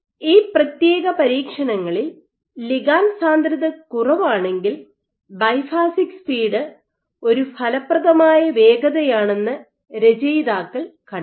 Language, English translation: Malayalam, So, for these particular experiments the authors found that in ligand density low what they observed was a biphasic speed effective speed